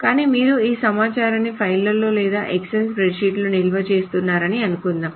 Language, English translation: Telugu, But suppose you are storing all of this information in a file or in an Excel spreadsheet or whatever